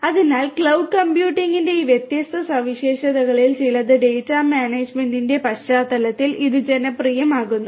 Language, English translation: Malayalam, So, these are some of these different characteristics of cloud computing which makes it is makes it popular in the context of data management